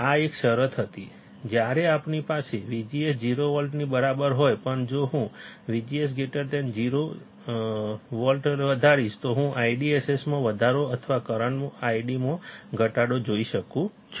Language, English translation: Gujarati, This was a condition, when we have V G S equals to 0 volt, but if I increase V G S greater than 0 volt, I will see the increase in the I DSS or degrade in current I D